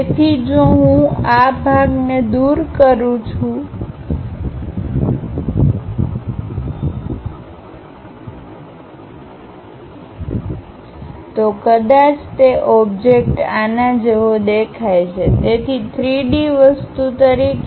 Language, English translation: Gujarati, So, if I am removing that, perhaps the object looks like this; so, as a three dimensional thing